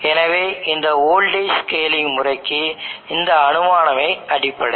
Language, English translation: Tamil, So this assumption is the bases for this voltage scaling method